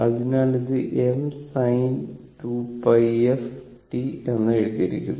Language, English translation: Malayalam, So, it is written I m sin 2 pi f t